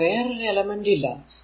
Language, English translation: Malayalam, So, there is no other element here